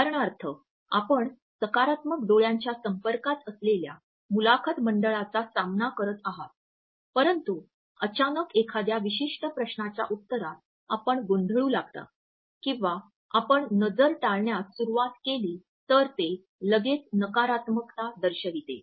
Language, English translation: Marathi, For example, you have been facing the interview board with a positive eye contact, but suddenly in answer to a particular question you start blinking or you start avoiding the gaze, then it would send negative messages immediately